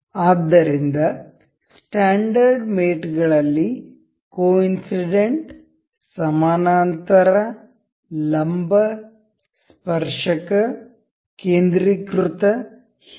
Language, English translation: Kannada, So, in standard mates there are coincident parallel perpendicular tangent concentric and so on